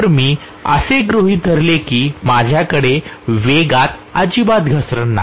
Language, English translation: Marathi, So if I assume that I do not have any drop in the speed at all